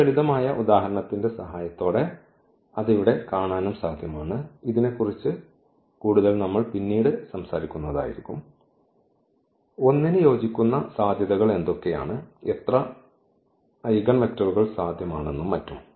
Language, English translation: Malayalam, So, that is also possible which can be seen here with the help of this simple example; more on this we will be talking about later that what are the possibilities corresponding to 1 this eigenvalues how many eigenvectors are possible and so on